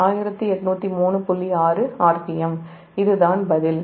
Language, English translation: Tamil, this is the answer